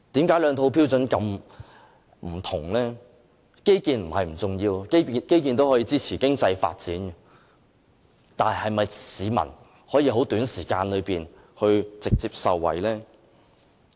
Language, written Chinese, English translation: Cantonese, 基建並非不重要，基建也可以支持經濟發展，但市民能否在很短時間內直接受惠呢？, Infrastructure projects do help support our economic development and are not unimportant . But can the projects directly benefit members of the public in the short run?